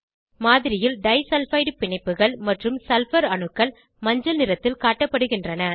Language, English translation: Tamil, Disulfide bonds, and sulphur atoms are shown in the model in yellow colour